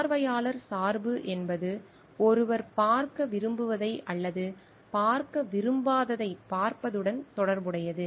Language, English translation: Tamil, Observer bias relates to saying what one wants to see or does not wants to see